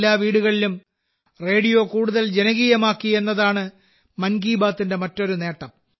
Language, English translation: Malayalam, Another achievement of 'Mann Ki Baat' is that it has made radio more popular in every household